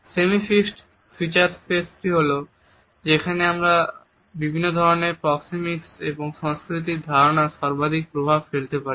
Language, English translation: Bengali, The semi fixed feature space is the one in which we find the maximum impact of different types of understanding of proxemics and culture